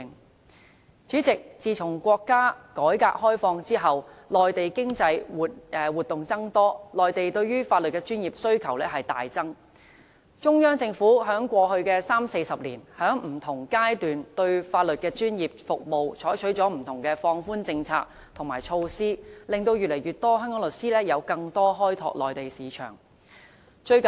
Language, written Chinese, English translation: Cantonese, 代理主席，自從國家改革開放以來，內地經濟活動增多，內地對於法律專業服務的需求大增，中央政府在過去三四十年，在不同階段對香港法律專業服務採取了不同的放寬政策和措施，令越來越多香港律師有更多機會開拓內地市場。, Deputy President since the reform and opening up of our country economic activities in the Mainland have increased and the demand for professional legal services in the Mainland has also surged . Over the past 30 to 40 years the Central Government has adopted different relaxation policies and measures by stages for professional legal services from Hong Kong thereby providing more opportunities for more and more Hong Kong legal practitioners to develop their Mainland market